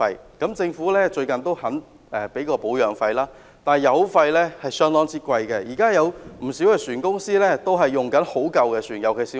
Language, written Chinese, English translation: Cantonese, 最近政府願意支付保養費，但油費相當昂貴，不少船公司仍在使用很殘舊的船。, Recently the Government is willing to pay for the maintenance fees but fuel charges are quite high and many ferry companies still use very old vessels